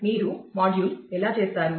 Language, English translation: Telugu, How do you module